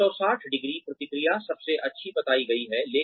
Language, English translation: Hindi, 360ø feedback is reported to be the best